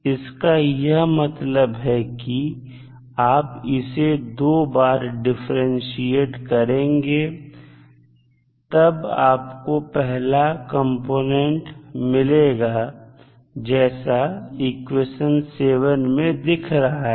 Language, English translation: Hindi, That means that you will differentiate it twice so, you will get the first component